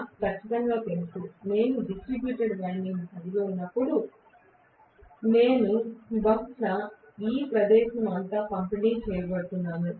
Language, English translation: Telugu, But I know for sure, when I am going to have a distributed winding, I am probably going to have this distributed all over the place